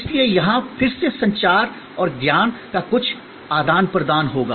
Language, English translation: Hindi, So, here again there will be some exchange of communication and knowledge